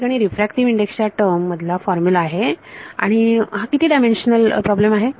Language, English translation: Marathi, There is a formula in terms of the refractive index and its how many dimensional problem